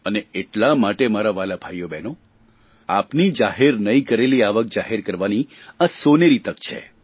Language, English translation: Gujarati, And so my dear brothers and sisters, this is a golden chance for you to disclose your undisclosed income